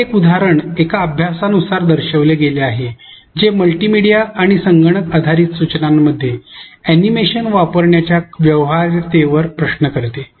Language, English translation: Marathi, One such example is shown from a study which questions the viability of using animations in multimedia and computer based instructions